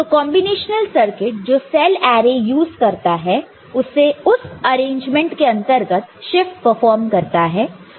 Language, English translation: Hindi, So, the combinatorial circuit for that using cell array performs that shift within the arrangement